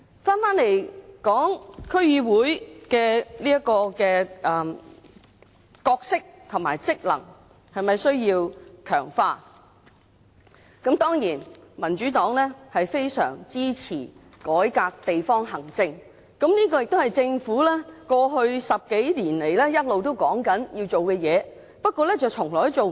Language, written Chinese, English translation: Cantonese, 說回區議會的角色和職能是否需要強化。當然，民主黨非常支持改革地方行政，這亦是政府過去10多年來一直說要做的事，不過從來做不到。, Coming back to the question of whether the role and functions of DCs need strengthening of course the Democratic Party has been a staunch supporter of reform of district administration something that the Government has been saying it needs to do in the past 10 years but to no fruition ever